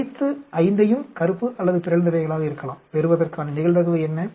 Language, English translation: Tamil, What is the probability of getting all 5 as say black or mutant